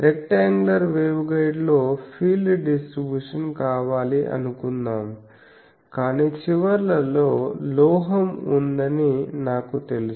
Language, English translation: Telugu, Suppose in a rectangular waveguide I want the field distribution I know that at the ends there are metal